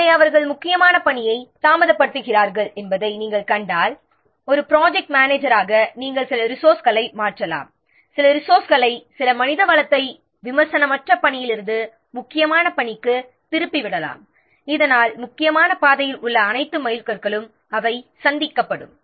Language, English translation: Tamil, So, if you find that the critical tax they are getting delayed then as a project manager you may switch some of the resources, you may differ some of the resources, some of the manpower from the non critical tax to the critical tax so that all mindstones along the critical path they will be made